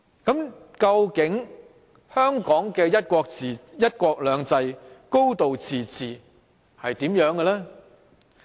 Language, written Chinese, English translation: Cantonese, 究竟香港的"一國兩制"、"高度自治"是怎樣的呢？, What exactly are one country two systems and a high degree of autonomy in Hong Kong?